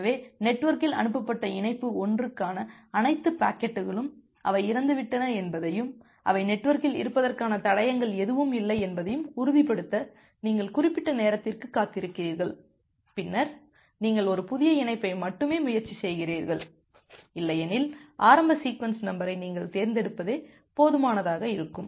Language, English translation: Tamil, So, you wait for certain amount of time to ensure that all the packets for connection 1 which was transmitted in the network they have died off and no traces of that those of they are in the network and then only you try a new connection, otherwise the option is that you choose the initial sequence number in such a way which will be high enough